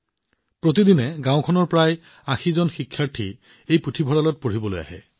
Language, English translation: Assamese, Everyday about 80 students of the village come to study in this library